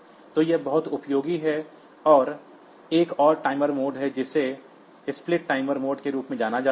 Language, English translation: Hindi, So, this is very useful and there is another timer mode which is known as a split timer mode